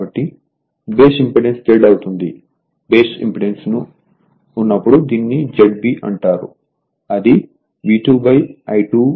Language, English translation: Telugu, Therefore, base impedance will be Z; it is called Z B when base impedance right, It will be V 2 by I 2 f l